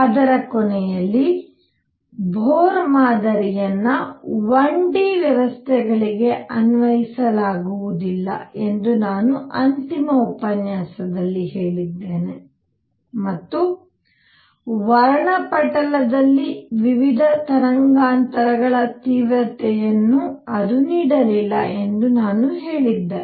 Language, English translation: Kannada, At the end of that, the final lecture I had said that Bohr model cannot be applied to one dimensional systems and also I had said that it did not give the intensities of various wavelengths light in the spectrum